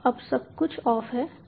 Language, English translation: Hindi, right, so now everything is off